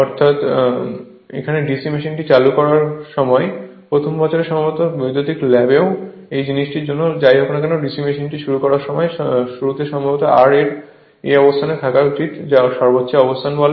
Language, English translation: Bengali, Actually when you start the DC machine right, first year also perhaps you will lab electrical lab also for this thing or whatever it is right whenever you start the DC machine at the beginning that R should be at this your what you call maximum position right